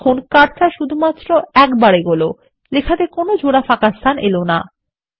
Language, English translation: Bengali, You see that the cursor only moves one place and doesnt allow double spaces in the text